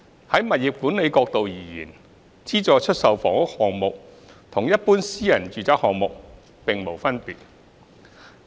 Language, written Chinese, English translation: Cantonese, 在物業管理角度而言，資助出售房屋項目與一般私人住宅項目沒有分別。, From the perspective of property management there is no difference between SSF projects and private residential projects in general